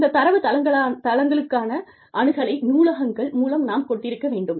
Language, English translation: Tamil, We have to have, access to these databases, through the libraries